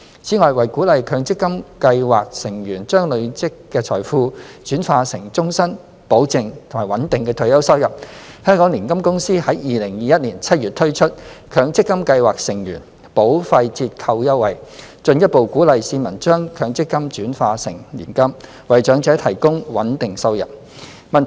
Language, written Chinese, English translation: Cantonese, 此外，為鼓勵強積金計劃成員將累積的財富轉化成終身、保證及穩定的退休收入，香港年金公司於2021年7月推出強積金計劃成員保費折扣優惠，進一步鼓勵市民將強積金轉化成年金，為長者提供穩定收入。, Moreover in order to encourage MPF scheme members to convert their accumulated wealth into a lifelong guaranteed and steady retirement income HKMCA launched a premium discount campaign in July 2021 for MPF scheme members further encouraging the public to convert their assets under MPF into an annuity so as to provide a steady income for the elderly